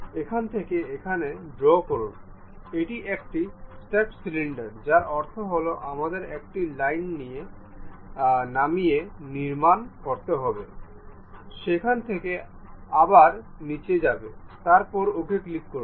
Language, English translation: Bengali, From there to there, draw it is a stepped cylinder that means, we have to construct a line goes down, from there again goes down, click ok